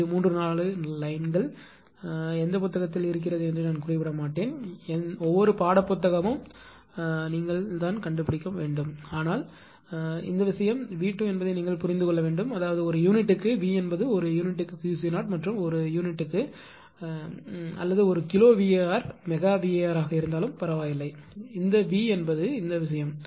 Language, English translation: Tamil, This is 3 4 lines I will not mention the book which book is there then you should find out every every textbook will find this right, but this thing you have to understand that it is V square; that means, per unit V is per unit Q c 0 also per unit it does not matter even if per unit or even kilowatt it does not matter this V is also this thing